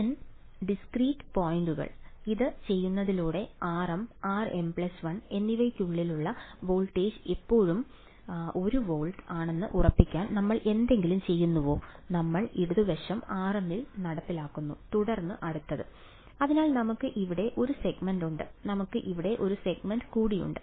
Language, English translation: Malayalam, N discrete points, by doing this are we doing anything to ensure that the voltage between r m and r m plus 1 is still 1 volt, we are enforcing the left hand side at r m then the next; so we have one segment over here we have one more segment over here